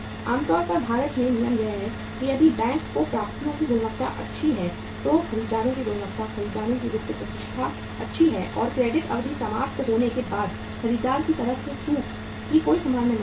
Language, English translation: Hindi, Normally the rule in India is if the bank finds the quality of the receivables is good, the buyers quality, buyers financial reputation is good and there is no possibility of the default from the buyer’s side after the end of the credit period